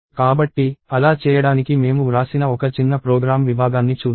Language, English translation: Telugu, So, let us see a small program segment that I have written to do that